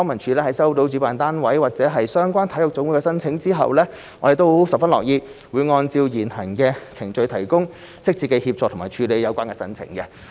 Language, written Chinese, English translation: Cantonese, 在收到主辦單位及/或相關體育總會的申請後，康文署十分樂意按照現行的程序提供適切的協助和處理有關的申請。, Upon receipt of the applications from the organizer andor the relevant NSAs LCSD is pleased to provide necessary assistance and process their applications in accordance with the current procedure